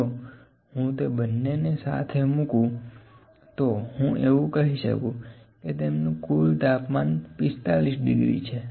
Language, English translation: Gujarati, If I put them together, can I say the total temperature is 45 degree